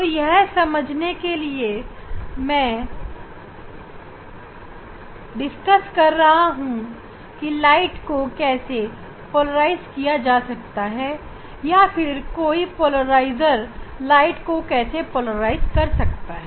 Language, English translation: Hindi, here that is what in general I am discussing how we can polarize the light or how polarizer polarize the light, what is there what we will use as a polarizer